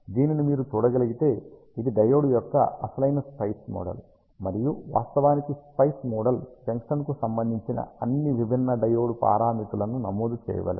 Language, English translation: Telugu, ah If you can see this is the actual SPICE model of the diode, and the SPICE model actually let us you enter all the different diode parameters related to the junction